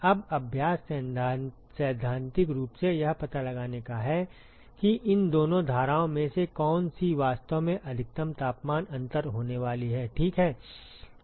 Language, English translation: Hindi, Now, the exercise is to find out theoretically which of these two streams is actually going to be the maximal temperature difference, right